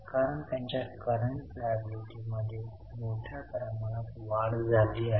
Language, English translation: Marathi, Because their current liabilities have increased substantially